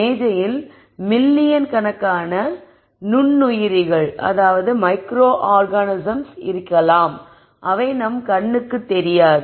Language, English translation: Tamil, So, in the table there might be millions of teaming microorganisms which are not visible to us to the naked eye